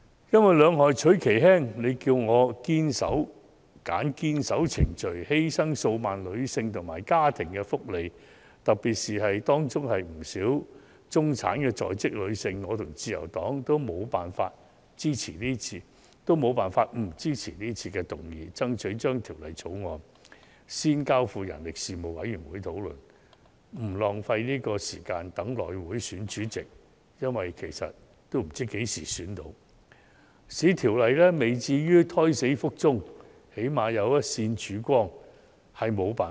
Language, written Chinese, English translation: Cantonese, 如果要"兩害取其輕"——選擇堅守程序，還是犧牲數萬名女性和家庭的福利，特別是當中不少婦女是在職中產人士——我和自由黨均沒有辦法不支持這項議案，爭取將《條例草案》先交付事務委員會討論，以免浪費時間等候內務委員會選出主席——說實話，大家皆不知道何時才能選出主席——避免《條例草案》"胎死腹中"，最少有一線曙光。, If asked to choose the lesser of two evils―holding fast to the procedure or sacrificing the well - being of a dozen thousand women and families―and particularly considering that many of these women are working women from the middle class the Liberal Party and I cannot but support this motion so as to strive for the referral of the Bill to the Panel for discussion first avoid wasting our time on waiting for the successful election of the House Committee Chairman―frankly speaking nobody knows when the Chairman can be successfully elected―and prevent the miscarriage of the Bill . At least we can see a ray of hope and this can be a way out of the impasse